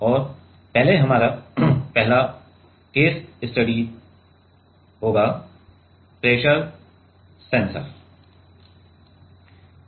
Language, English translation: Hindi, And, first our first case study will be on pressure sensor